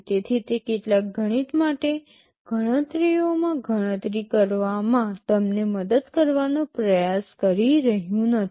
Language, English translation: Gujarati, So, it is not trying to help you in calculation in doing some maths, and so on